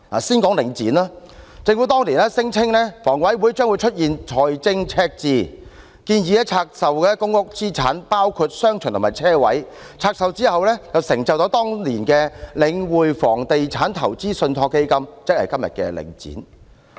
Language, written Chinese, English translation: Cantonese, 先說領展，政府當年聲稱香港房屋委員會將會出現財政赤字，建議拆售公屋資產，包括商場及車位，在拆售後便成就了當年的領匯房地產投資信託基金，即今天的領展。, Let us talk about Link REIT first . Back then the Government claimed that the Hong Kong Housing Authority would run into a fiscal deficit so it proposed that the assets in public housing estates including shopping arcades and car parks be divested and after doing so The Link REIT that is the present - day Link Real Estate Investment Trust came into being